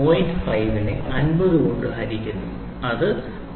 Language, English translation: Malayalam, 5 divided by 50 which is nothing, but 0